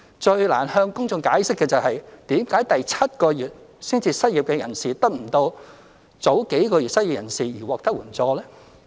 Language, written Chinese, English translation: Cantonese, 最難向公眾解釋的是，為甚麼第七個月才失業的人士得不到與早數個月失業的人士獲得的援助？, It is most difficult to explain to the public why people losing their jobs in the seventh month cannot receive the same assistance as that for people who become unemployed a few months earlier